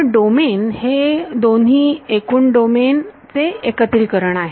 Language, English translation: Marathi, So, domain is the union of both total domain